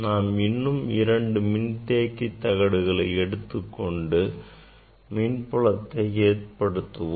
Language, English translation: Tamil, Now, if you use this two capacitor plate, so if you apply electric field; how to generate electric field